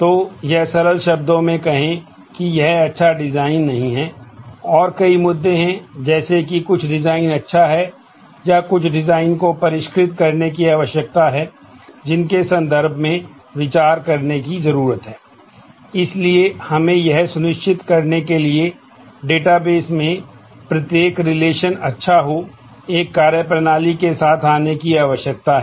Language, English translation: Hindi, So, to put it in simple terms that this is not a good design and there are several issues to consider, in terms of whether some design is good or some design needs refinement